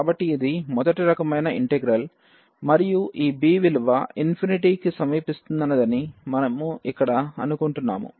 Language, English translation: Telugu, So, this is the integral of first kind and we assume here that this b is approaching to infinity